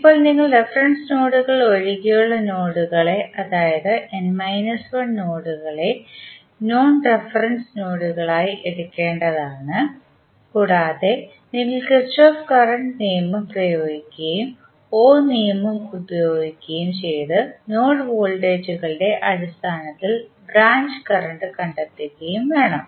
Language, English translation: Malayalam, Now, you have to take n minus 1 non reference nodes that is the nodes which are other than the reference nodes and you have to apply Kirchhoff Current Law and use Ohm's law to express the branch currents in terms of node voltages